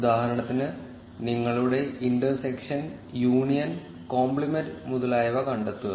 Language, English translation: Malayalam, For instance, find your intersection, union, compliment etcetera